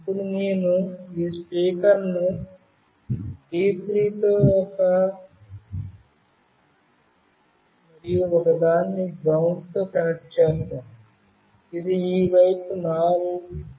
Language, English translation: Telugu, Now, I will be connecting this speaker with D3 and one with GND which is the fourth pin from this side